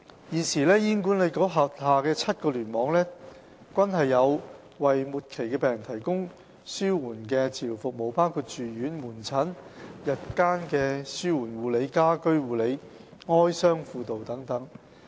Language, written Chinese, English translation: Cantonese, 現時醫管局轄下7個聯網均有為末期病人提供紓緩治療服務，包括住院、門診、日間紓緩護理、家居護理、哀傷輔導等。, At present all seven clusters of HA provide palliative care services for terminally ill patients including inpatient service outpatient service day care service home care service bereavement counselling etc